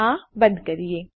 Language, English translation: Gujarati, Lets close this off